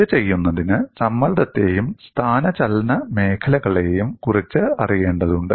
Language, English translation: Malayalam, For us, to do this, we need to know the knowledge of stress and displacement fields